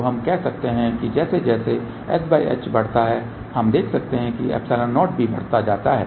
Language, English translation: Hindi, So, we can say that as s by h increases we can see that epsilon 0 also increases